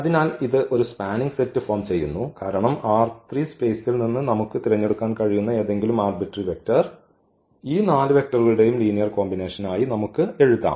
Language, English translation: Malayalam, So, this forms a spanning set because any vector any arbitrary vector we can pick from this R 3 space and we can write down as a linear combination of these given 4 vectors